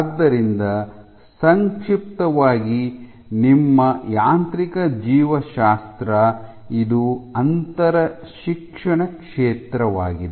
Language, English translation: Kannada, So, in a nutshell your mechanobiology, it is an interdisciplinary field ok